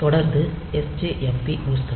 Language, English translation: Tamil, So, it is continually sjpm stops